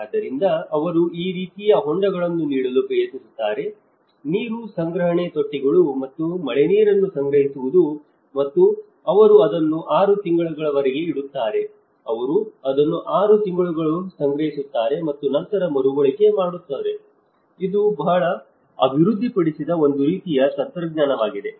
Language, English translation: Kannada, So, what they tried to do is; so they try to give this kind of tanks; water collection tanks and collecting the rainwater and they keep it for 6 months, they storage it for 6 months and then able to reuse so, this is a kind of technology which they have developed